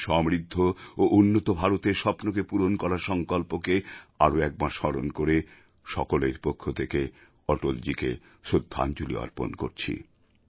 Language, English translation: Bengali, Reiterating our resolve to fulfill his dream of a prosperous and developed India, I along with all of you pay tributes to Atalji